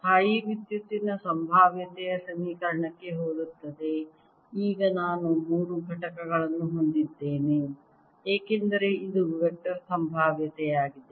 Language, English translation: Kannada, that's the equation for vector potential, very similar to the equation for electrostatic potential, except that now i have three components, because this is the vector potential